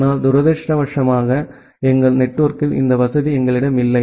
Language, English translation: Tamil, But unfortunately in our network we do not have this facility available